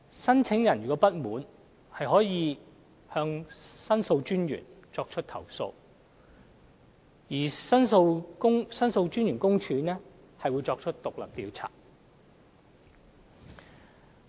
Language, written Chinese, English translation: Cantonese, 申請人如有不滿，可向獨立的申訴專員公署作出投訴，申訴專員公署會作出獨立調查。, Any person who is not satisfied may complain to The Ombudsman . The Office of The Ombudsman will conduct an independent investigation